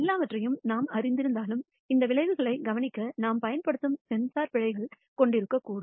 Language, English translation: Tamil, Even if we know everything the sensor that we use for observing these outcomes may themselves contain errors